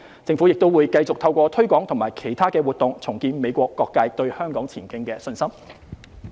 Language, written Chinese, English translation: Cantonese, 政府亦會繼續透過推廣和其他活動，重建美國各界對香港前景的信心。, The Government will also rebuild the confidence of various sectors of the United States in Hong Kongs future through promotion and other activities